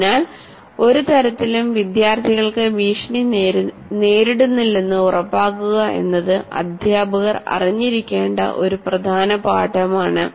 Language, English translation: Malayalam, So this is one important lesson to the teachers to make sure that in no way the students feel threatened